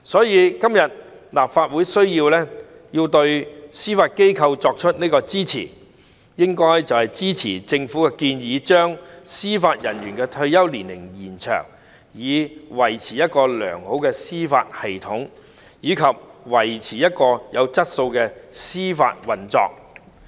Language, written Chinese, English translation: Cantonese, 因此，立法會今天必須對司法機構給予支持，支持政府的建議，延長司法人員的退休年齡，以維持一個良好的司法制度及維持有質素的司法運作。, Therefore the Legislative Council must stand behind the Judiciary today and support the Governments proposal to extend the retirement age of JJOs so as to maintain a sound judicial system and quality judicial operations